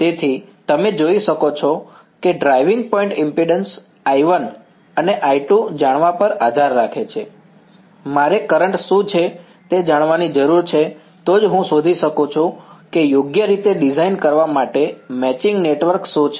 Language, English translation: Gujarati, So, you can see that the driving point impedance depends on knowing I 1 and I 2, I need to know what these currents are only then I can find out what is the matching network to design right